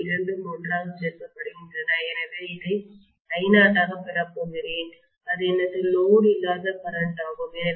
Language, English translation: Tamil, These two are added together so I am going to get this as I naught that is that is my no load current